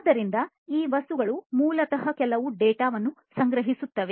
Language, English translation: Kannada, So, these objects basically will sense certain data